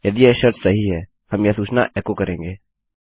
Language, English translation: Hindi, If this condition is true, we will echo this message